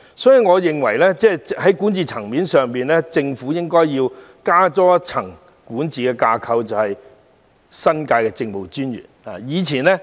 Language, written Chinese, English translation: Cantonese, 所以，我認為在管治層面上應多加一層管治架構，設立新界政務專員一職。, I am therefore of the view that one more level of administration should be included in the governance structure by creating a new post of Director of New Territories Administration